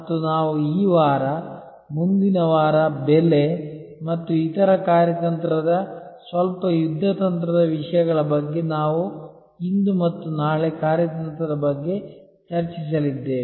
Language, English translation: Kannada, And we will discuss this week, next week about pricing and other somewhat strategic, somewhat tactical issues in the perspective of what we are going to discuss today and tomorrow about strategy